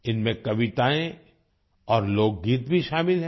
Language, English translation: Hindi, These also include poems and folk songs